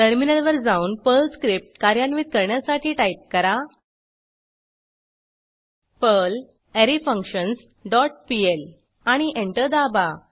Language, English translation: Marathi, Then switch to the terminal and execute the Perl script by typing perl arrayFunctions dot pl and press Enter